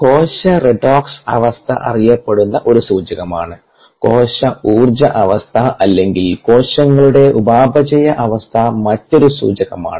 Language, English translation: Malayalam, cellular redox status is a well known indicator and cellular energy status is another well known, accepted indicator of the cellular or a metabolic status of the cells